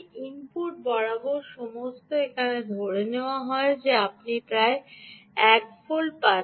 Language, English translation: Bengali, the input is assumed here that you are getting about one volt